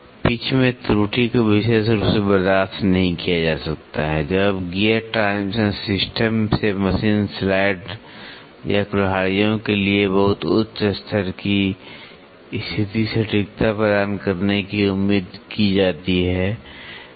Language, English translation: Hindi, The error in the pitch cannot be tolerated especially when the gear transmission system is expected to provide a very high degree of positional accuracy for machine slides or axes